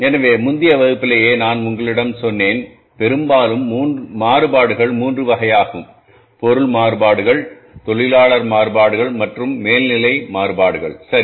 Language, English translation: Tamil, So, I told you in the previous class itself that largely the variances are of three types, material variances, labour variances and overhead variances